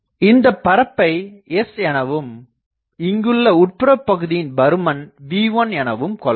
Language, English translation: Tamil, So, if we do that this is our surface S the inside is V1